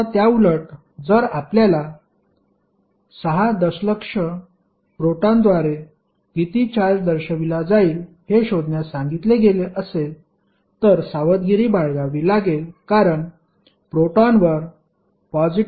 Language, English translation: Marathi, Now, opposite to that if you are asked to find out how much charge is being represented by 6 million protons then you have to be careful that the proton will have charge positive of 1